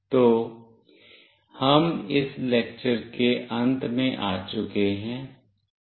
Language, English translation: Hindi, So, we have come to the end of this lecture